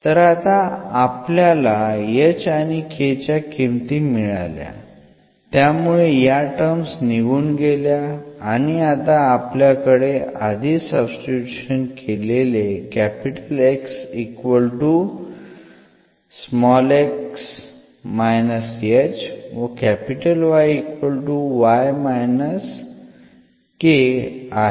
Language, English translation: Marathi, So, here we will get now the values of h and k such that these terms will vanish and then we have these relations, already which we have substituted